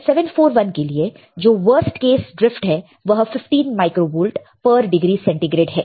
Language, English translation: Hindi, Now, for LM741 the worst case drift is 15 micro volts per degree centigrade this is a worst case drift